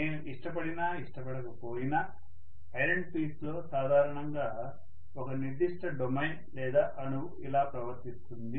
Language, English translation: Telugu, Whether I like it or not, this is how in a piece of iron, generally a particular domain or an atom behaves